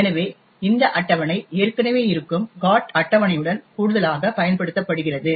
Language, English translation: Tamil, So, this table is used in addition with a GOT table which is already present